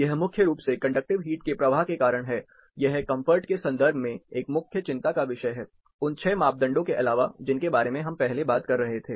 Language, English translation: Hindi, This is primarily due to conductive heat flow; this also has a measure concern in terms of comfort, apart from these 6 parameters which we were talking about earlier